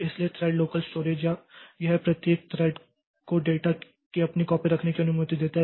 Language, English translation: Hindi, So, thread local storage it allows each thread to have its own copy of data